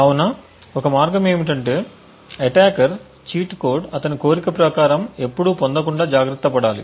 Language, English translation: Telugu, So, one way is to make sure that the cheat code set by the attacker is never obtained as per his wishes